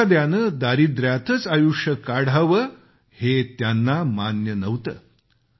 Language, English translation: Marathi, He did not want anybody to languish in poverty forever